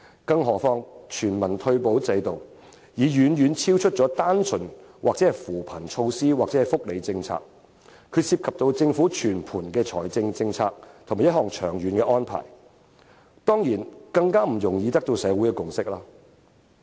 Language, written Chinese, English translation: Cantonese, 至於全民退休保障制度，它已非單純的扶貧措施或福利政策，是涉及政府整體財政政策的一項長遠安排，當然就更不易取得社會的共識了。, As for the universal retirement protection system it is neither purely a poverty alleviation policy nor a welfare policy . It is actually a long - term arrangement involving the overall fiscal policy of the Government . And so it is definitely even more difficult to achieve social consensus in this regard